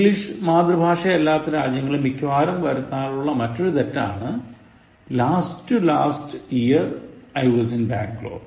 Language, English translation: Malayalam, The next error again, mostly committed in non English speaking countries, Last to last year, I was in Bangalore